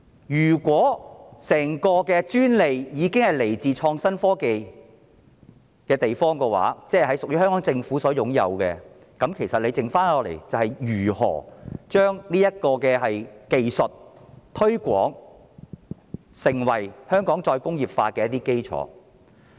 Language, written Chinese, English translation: Cantonese, 如果整個專利是來自創新及科技局的話，即屬於香港政府所擁有，那麼餘下要做的，就是如何將這技術推廣成為香港再工業化的基礎。, If the face mask franchise belongs to the Innovation and Technology Bureau meaning that it is owned by the Hong Kong Government the remaining work is to promote the technology as the basis for Hong Kongs re - industrialization